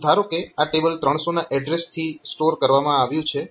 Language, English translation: Gujarati, So, assume that this table is the stored from address 300